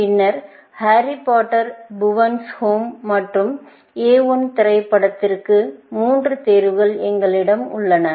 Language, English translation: Tamil, Then, we have the three choices for the movie, Harry Potter, Bhuvan’s Home and A I, the movie